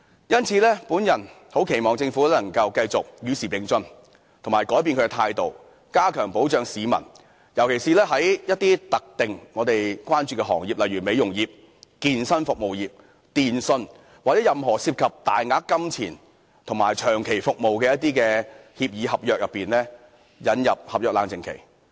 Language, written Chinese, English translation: Cantonese, 因此，我很期望政府能夠繼續與時並進及改變態度，加強保障市民，尤其是一些我們關注的特定行業，例如美容業、健身服務業、電訊，或在任何涉及大額金錢及長期服務的一些協議合約裏引入合約冷靜期。, Therefore I really hope the Government can keep abreast of the times and adopt a new attitude to enhance protection for the people . In particular we advocate the introduction of a cooling - off period in certain industries such as beauty fitness and telecommunication industries or any industry which involve substantial amount of money and long - term service agreements